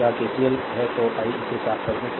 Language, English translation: Hindi, That is KCL so, let me clean it , right